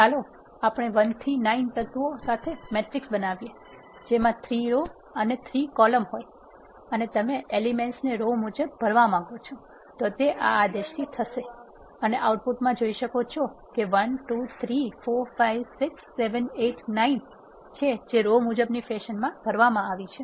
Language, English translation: Gujarati, Let us create a matrix with the elements 1 to 9 which is containing 3 rows and 3 columns and you want to fill the elements in a row wise fashion this is the command which does this and if you see the output is 1 2 3 4 5 6 7 8 9 that are filled in a row wise fashion